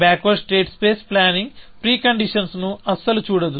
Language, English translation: Telugu, Backward state space planning does not look at pre conditions at all